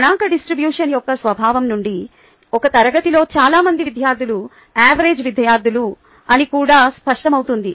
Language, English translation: Telugu, from the nature of the statistical distribution, it is also clear that most students in a class are average students